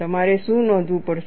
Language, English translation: Gujarati, What we will have to do